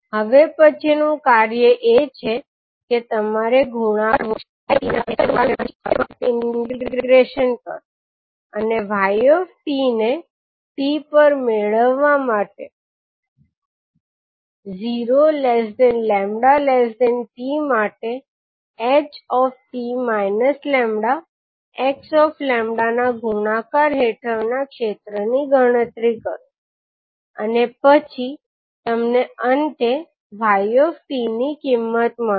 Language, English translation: Gujarati, Now next task is that you have to multiply, find the product of h t minus lambda and x lambda and then integrate for a given time t and calculate the area under the product h t minus lambda x lambda for time lambda varying between zero to t and then you will get finally the value of yt